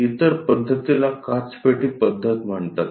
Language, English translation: Marathi, The other method is called glass box method